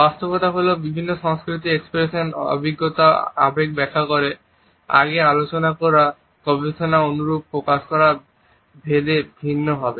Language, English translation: Bengali, The fact is different cultures interpret express experience emotions, expression of emotion similar to the research discussed earlier is different from country to country